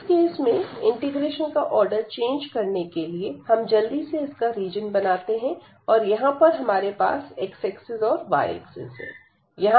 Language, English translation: Hindi, So, changing the order of integration in this case again let us quickly draw the region, and we have this x here and we have y